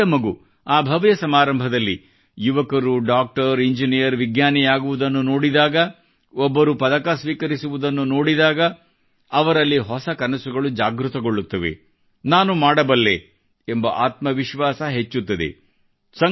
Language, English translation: Kannada, When a small child in the grand function watches a young person becoming a Doctor, Engineer, Scientist, sees someone receiving a medal, new dreams awaken in the child 'I too can do it', this self confidence arises